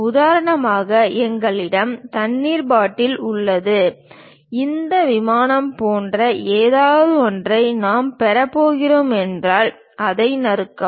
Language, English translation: Tamil, For example, we have a water bottle and if we are going to have something like this plane, slice it